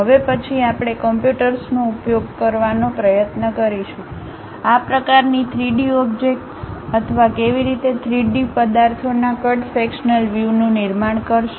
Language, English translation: Gujarati, Now, onwards we will try to use computers, how to construct such kind of three dimensional objects or perhaps the cut sectional views of three dimensional objects